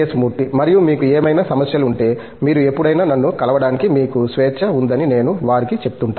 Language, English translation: Telugu, And, I tell them that if you have any other issues, you are free to come and meet me any time